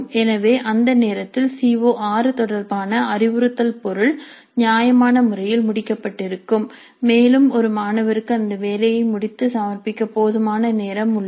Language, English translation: Tamil, So by the time the instructional material related to CO6 would have been completed reasonably well and the student has time enough to complete the assignment and submit it